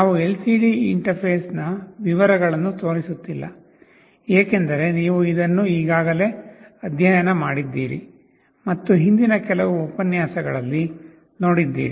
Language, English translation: Kannada, We are not showing the details of LCD interface, because you have already studied this and saw in some earlier lecture